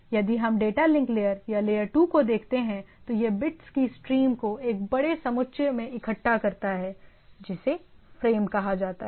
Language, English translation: Hindi, If we look at the data link layer or the layer 2, it collects a stream of bits into a larger aggregate called frame